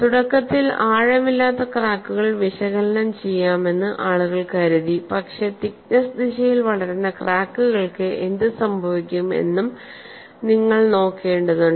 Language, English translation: Malayalam, People thought they would analyze initially shallow cracks, but you will also have to look at what happens to cracks which are growing in the thickness direction